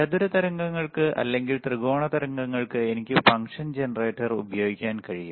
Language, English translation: Malayalam, sFor square waves, triangle waves I can use the function generator